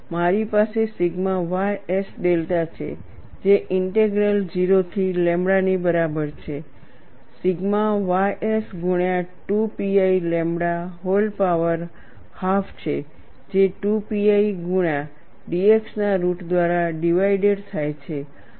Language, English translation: Gujarati, I have sigma ys delta equal to integral 0 to lambda, sigma ys multiplied by 2 pi lambda whole power half, divided by root of 2 pi x dx, this is very simple to integrate, there is no difficulty at all